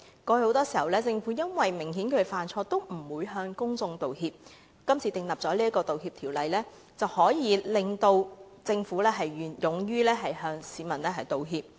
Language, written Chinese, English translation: Cantonese, 過去，很多時政府即使明顯犯錯，也不會向公眾道歉，今次訂立道歉條例，可令政府勇於向市民道歉。, In the past even if the Government was clearly at fault it refused to apologize to the people . Enacting an apology law will encourage the Government to bravely give apologies